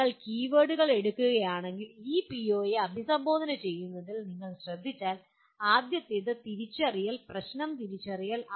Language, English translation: Malayalam, Now if you look at the activities involved in addressing this PO if you take the keywords, first is identify, problem identification